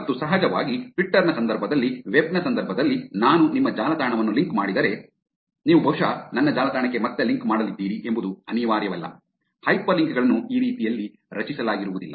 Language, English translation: Kannada, And of course, in the context of Twitter, in the context of web, it is not necessary that if I link your website you are probably going to link back to my website; hyperlinks are not created in that way